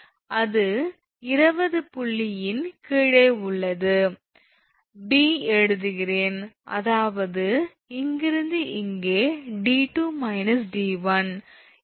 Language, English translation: Tamil, That is your 20 that is below point B I am writing this below point B I mean from here to here that is d 2 minus d 1